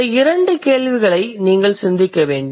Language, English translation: Tamil, So, that you need to think about these two questions